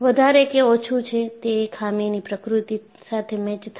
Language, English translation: Gujarati, More or less, it will match with the nature of flaw